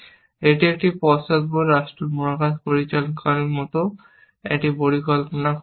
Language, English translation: Bengali, It is looking for a plan like a backward state space planner